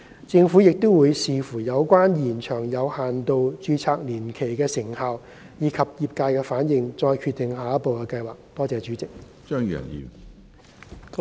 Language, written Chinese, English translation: Cantonese, 政府亦會視乎有關延長有限度註冊年期的成效，以及業界反應再決定下一步的計劃。, It will also take into account the effectiveness of extending the period of limited registration and responses from the health care sector before deciding on the way forward